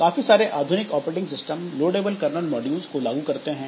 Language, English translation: Hindi, Many modern operating systems implement loadable kernel modules